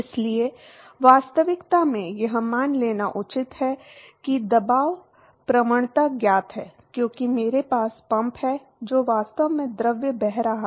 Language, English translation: Hindi, So, it is fair to assume in reality that the pressure gradient is known, because I have pump which is actually flowing the fluid